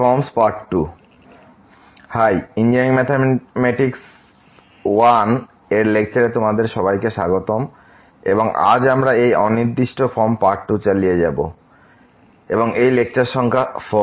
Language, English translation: Bengali, Hai, welcome to the lectures on Engineering Mathematics I and today we will be continuing this Indeterminate Form Part 2 and this is lecture number 4